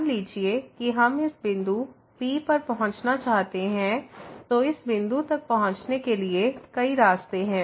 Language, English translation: Hindi, Suppose we want to approach to this point here, then there are several paths to approach this point